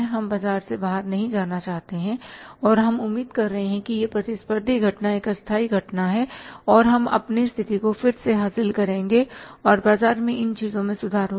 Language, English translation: Hindi, So, but we want to sustain in the market, we don't want to go out of the market and we are expecting that this competitive phenomenon is a temporary phenomenon and we will regain our position on these things will improve in the market